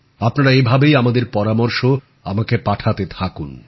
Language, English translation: Bengali, Do continue to keep sending me your suggestions